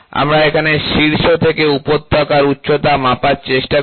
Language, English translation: Bengali, So, here we try to take peak to valley height, ok